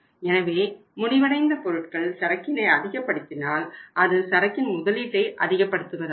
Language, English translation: Tamil, So if you increase the finished goods inventory it means investment in the finished goods inventory has to be increased